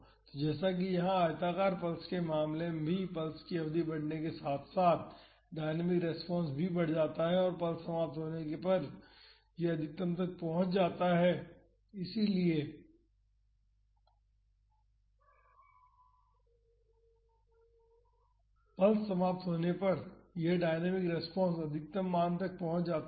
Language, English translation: Hindi, So, as in the case of the rectangular pulse here also as the duration of the pulse increases the dynamic response also increases and it reaches a maximum when the pulse is ending so,as the pulse ends this dynamic response reaches a maximum value